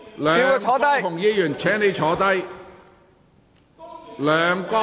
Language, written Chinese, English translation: Cantonese, 梁國雄議員，請坐下。, Mr LEUNG Kwok - hung please sit down